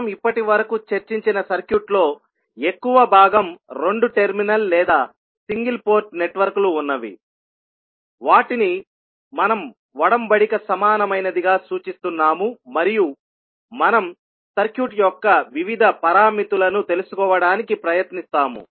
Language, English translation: Telugu, So, most of the circuit which we have discussed till now were two terminal or single port network, where we were representing them as a covenant equivalent and we were trying to find out the various parameters of the circuit